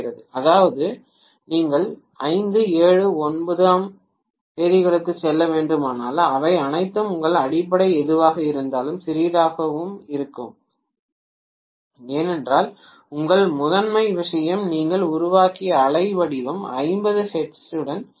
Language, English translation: Tamil, That is if you to go to 5th, 7th, 9th and so on all of them are going to be smaller and smaller as compared to whatever was your fundamental because your primary thing the wave form that you have generated itself is corresponding to 50 hertz